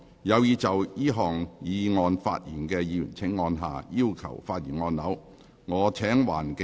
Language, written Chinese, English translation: Cantonese, 有意就這項議案發言的議員請按下"要求發言"按鈕。, Will Members who wish to speak on this motion please press the Request to speak button